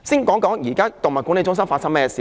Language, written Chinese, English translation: Cantonese, 我先談談動物管理中心。, I will first talk about the Animal Management Centres